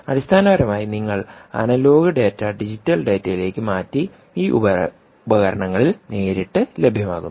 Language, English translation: Malayalam, essentially, ah, you could be processing the analogue information, analogue dada, into digital data and making it available directly onto these devices